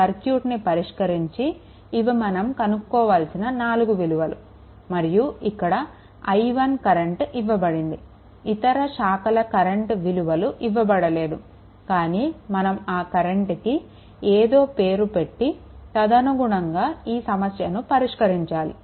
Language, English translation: Telugu, This are the this are the 4 quantities that we have to solve for this circuit right and here current is given i 1 other branches currents are not given, but we have to we have to assume right some current and according to we have to solve